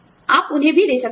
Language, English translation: Hindi, And, you can also buy it